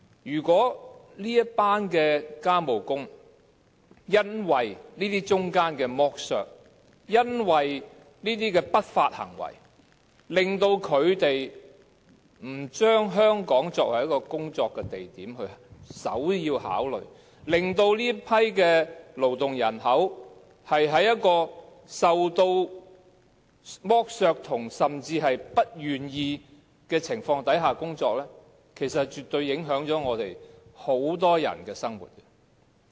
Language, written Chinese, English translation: Cantonese, 如果這群外傭因為剝削和不法行為，令到他們不把香港作為首要考慮的工作地點，令到這群勞動人口在一個受剝削甚至是不願意的情況之下工作，其實是絕對會影響我們很多人的生活。, If these foreign domestic helpers do not consider Hong Kong as their prime destination for employment due to exploitation and malpractices which will subject them to exploitation at work or even involuntary work the lives of many people will definitely be affected